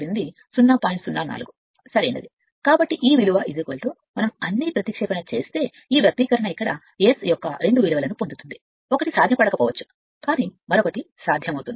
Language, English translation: Telugu, So, this value is equal to we substitute all you will get this expression here you will get two values of S here, one may not be feasible, but another is your another is feasible right